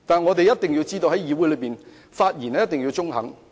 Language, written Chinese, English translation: Cantonese, 我們一定要知道，在議會的發言一定要中肯。, We must know that our speeches in the legislature must be well balanced